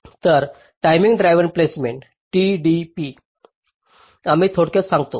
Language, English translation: Marathi, so timing driven placement, tdp, we refer to